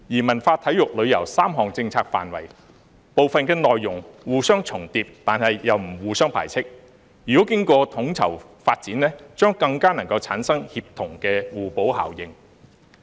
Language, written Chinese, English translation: Cantonese, 文化、體育、旅遊3項政策範圍，部分內容互相重疊但又不互相排斥，如果經過統籌發展，將更能夠產生協同的互補效應。, The three policy areas of culture sports and tourism overlap in part but are not mutually exclusive and if developed in a coordinated manner they can achieve a synergistic and complementary effect